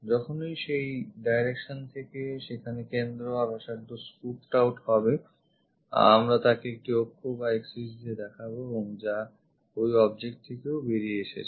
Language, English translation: Bengali, Whenever there is center and a radius scooped out from that direction we show it by an axis which comes out of that object also